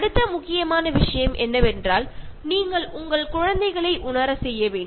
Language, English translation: Tamil, The next important thing is you need to sensitize your children